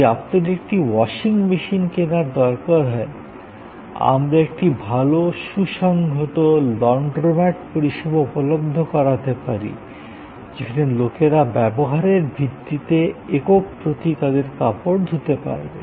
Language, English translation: Bengali, So, you need buy a washing machine, we can have a good organize Laundromat services, but people can get their close done washed on per unit of usage basis